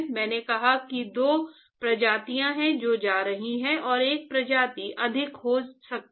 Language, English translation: Hindi, So, I said there are two species that is going and one of the species can be in excess